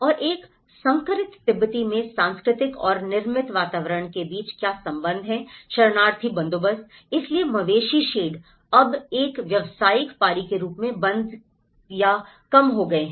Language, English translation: Hindi, And what is the relationship between the cultural and built environments in a hybrid Tibetan refugee settlement, so cattle sheds now discontinued or reduced as an occupational shift